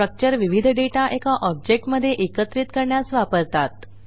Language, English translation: Marathi, Strucutre is used to group different data into one object